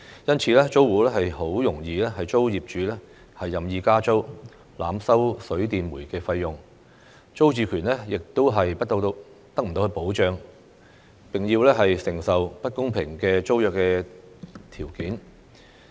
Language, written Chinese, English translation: Cantonese, 因此，租戶很容易遭業主任意加租、濫收水電煤費用，租住權亦得不到保障，並要承受不公平的租約條件。, As a result tenants are prone to arbitrary rent increases and overcharging for water electricity and gas by landlords; their tenure is not protected; and they are subject to unfair tenancy conditions